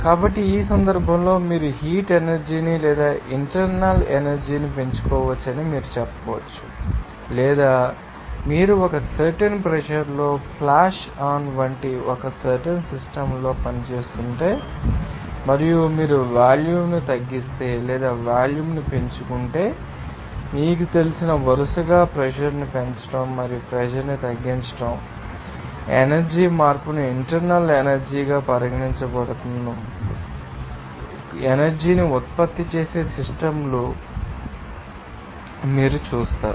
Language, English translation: Telugu, So, in that case, you can say that you can increase the heat energy or internal energy or you can say that if you are working on a particular system like flash on at a certain pressure and if you decrease the volume or increase the volume just by you know, increasing the pressure and lowering the pressure respectively, you will see that the systems will be you know generating some you know energy that energy change will be considered as that internal energy